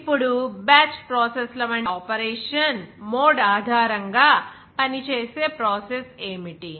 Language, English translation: Telugu, Now, what is that the process that based on the mode of operation like batch processes